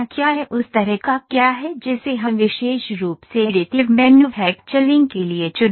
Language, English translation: Hindi, what is the kind of that we can choose specifically for additive manufacturing